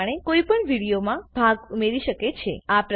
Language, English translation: Gujarati, In this way, one can add portions to a video